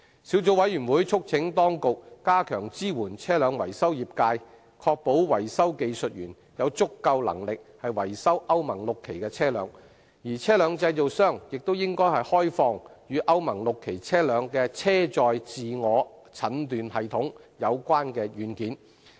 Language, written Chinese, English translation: Cantonese, 小組委員會促請當局加強支援車輛維修業界，確保維修技術員有足夠能力維修歐盟 VI 期車輛，而車輛製造商亦應開放與歐盟 VI 期車輛的車載自我診斷系統有關的軟件。, The Subcommittee urges the Administration to step up its support for the vehicle maintenance trade and ensure that vehicle mechanics are competent in repairing Euro VI vehicles and vehicle manufacturers should also open up the software related to the on - board diagnostic systems of Euro VI vehicles